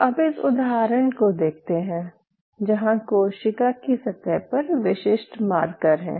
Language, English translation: Hindi, So, what I wanted to say is say for example, on the cell surface you have specific markers